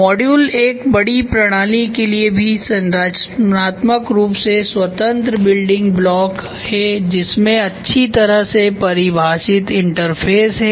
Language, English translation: Hindi, Modules are structurally independent building block for a large system with well defined interfaces